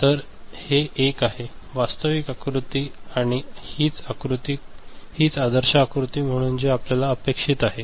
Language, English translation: Marathi, So, this is one actual diagram, and this is what we expect as ideal diagram